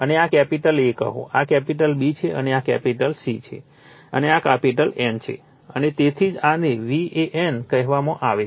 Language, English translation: Gujarati, And this is your capital A say, this is capital B, and this is C, and this is capital N right, and that is why this is this is called v AN